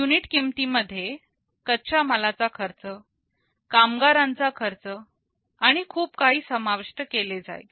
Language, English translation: Marathi, The unit cost will also consider the cost of the raw materials, labor cost, and so on